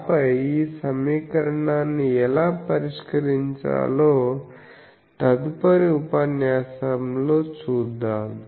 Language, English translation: Telugu, And then we will see how to solve this equation in the next class